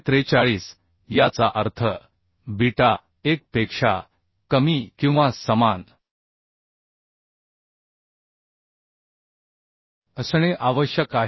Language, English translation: Marathi, 443 that means beta has to be less than or equal to 1